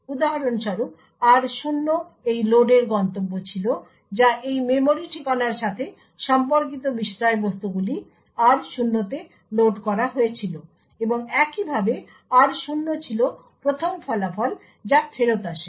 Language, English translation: Bengali, So, for example r0 was the destination for this load that is the contents corresponding to this memory address was loaded into r0 and similarly r0 was the first result to be return back